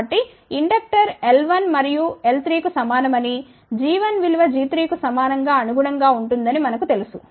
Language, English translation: Telugu, So, we know that for inductor L 1 equal to L 3 which will be corresponding to g 1 equal to g 3